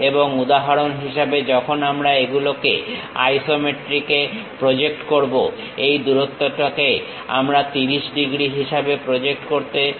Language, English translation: Bengali, And when we are projecting these in the isometric; for example, this length we are going to project it at 30 degrees thing